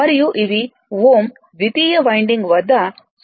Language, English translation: Telugu, And, those are the secondary winding at 0